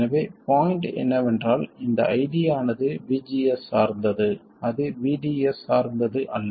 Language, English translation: Tamil, So the point is this ID depends depends on VGS, it does not depend on VDS